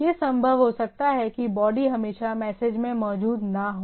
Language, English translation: Hindi, It may be possible that the body may not be always present in the in the message